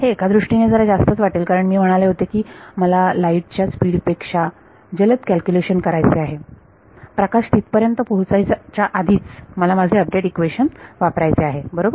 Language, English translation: Marathi, So, I want to do in some sense it sounds very grand when I said I want to do a faster than light calculation before the light gets there I want to use this update equation right